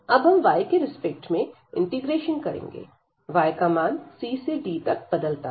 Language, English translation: Hindi, So, now we can integrate with respect to y, so y will vary from c to d